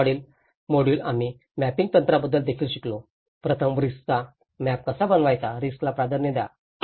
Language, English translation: Marathi, The second module we also learnt about the mapping techniques, how first map the risk, prioritize the risk